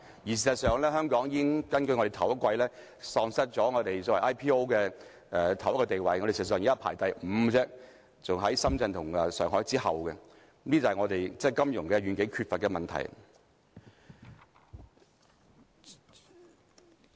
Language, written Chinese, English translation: Cantonese, 事實上，根據首季數字，香港已喪失很多 IPO 的地位，我們現在排行第五，在深圳和上海之後，這就是我們對金融業缺乏遠景的問題。, As a matter of fact according to the statistics in the first quarter Hong Kongs initial public offerings ranking has dropped as it only ranks fifth after Shenzhen and Shanghai . This is attributed to our lack of vision in respect of the financial industry